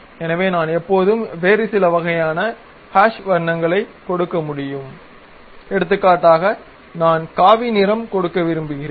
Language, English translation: Tamil, So, I can always give some other kind of hashed kind of colors for example, I would like to give saffron